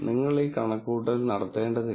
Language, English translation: Malayalam, You do not have to do this calculation